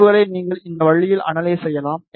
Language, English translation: Tamil, And you can analyze the results in this way ok